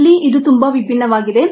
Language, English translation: Kannada, here it is very different